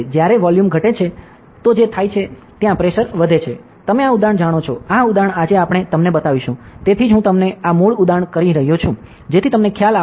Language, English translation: Gujarati, When volume decreases what happens, pressure increases; you know this example, this example we will be showing you today, that is why I am just telling you this basic example, so that you will have the idea